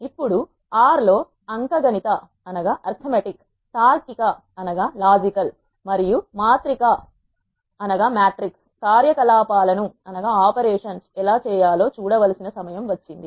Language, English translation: Telugu, Now, it is time to see how to perform arithmetic, logical and matrix operations in R